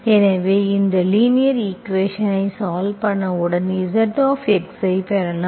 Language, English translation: Tamil, So once you solve this linear equation, so you can get your zx